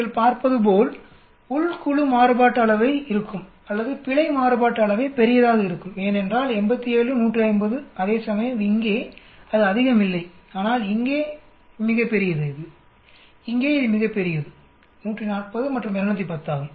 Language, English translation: Tamil, As you can see, there is the within group variance or error variance is going to be large because we see 87, 150 whereas here it is not much but here it is huge, here also it is huge 140 and 210